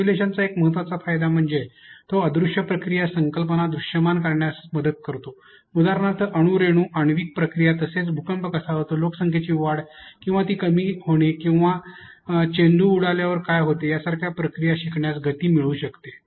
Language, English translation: Marathi, An important benefit of simulation is that it helps make invisible processes, concepts visible for example, atoms molecules molecular reactions it can speed up processes like how earthquake falls developed, population growth or slow down processes like what happens when the ball is bounced, bounces off the floor